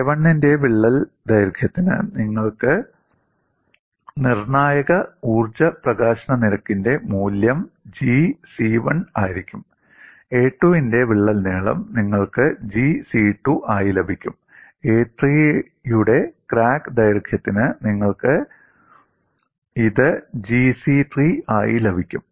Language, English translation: Malayalam, For the crack length of a 1, you will have the value of critical energy release rate as G c1; for crack length of a 2 you will have this as G c2; for crack length of a 3, you will have this as G c3